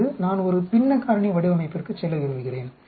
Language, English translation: Tamil, Now I want to go into a fractional factorial design